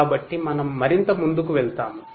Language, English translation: Telugu, So, we will proceed further